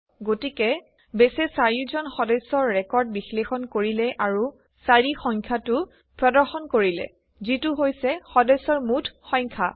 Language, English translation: Assamese, So here, Base has evaluated all the 4 members records and returned the number 4 which is the total count of members